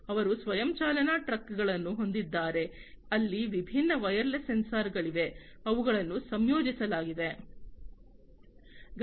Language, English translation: Kannada, They have self driving trucks, where there are different wireless sensors, that are deployed in them